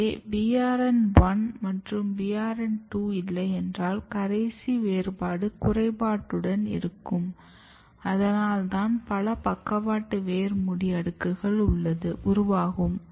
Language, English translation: Tamil, And that is why if you do not have BRN1 and BRN2 that if you remember this is the terminal differentiation is defective and that is why you can see multiple layer of lateral root cap formation